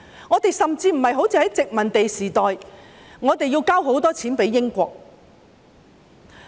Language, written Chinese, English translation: Cantonese, 我們甚至無須像在殖民地時代般，要把很多錢交給英國。, Indeed during the colonial era we had to turn over a lot of money to the United Kingdom